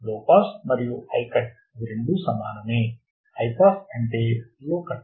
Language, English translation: Telugu, low pass and high cut same, high pass low cut are same